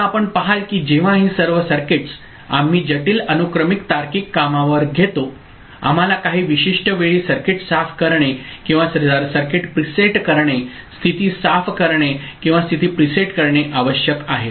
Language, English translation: Marathi, Now you will see that all these circuits when we employ in complex sequential logic you know, implementation we need in certain cases clearing the circuit or presetting the circuit, clearing the state or presetting the state, at a given time